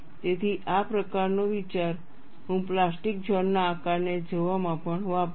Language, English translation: Gujarati, So, that kind of an idea I would use in looking at the plastic zone shape also